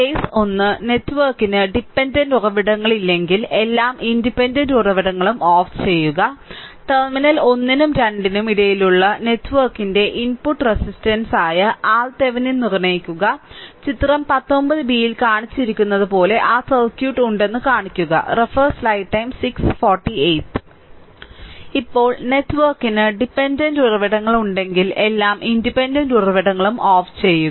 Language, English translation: Malayalam, Case 1, if the network has no dependent sources right, then turn off all the independent sources; then determine R Thevenin which is the input resistance of the network looking between terminals 1 and 2 and shown as shown in figure 19 b that I have that circuit as I have told you right